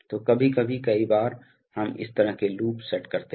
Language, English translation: Hindi, So, sometimes, many times we set up this kind of loops